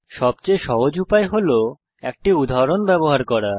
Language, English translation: Bengali, Easiest way is to use an example